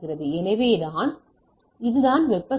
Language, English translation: Tamil, So, that it is the thermal noise